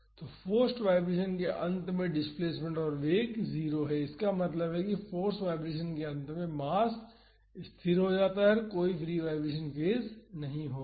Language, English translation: Hindi, So, at the end of the forced vibration the displacement and velocity are 0; that means, the mass comes to rest at the end of the force vibration and there would not be any free vibration phase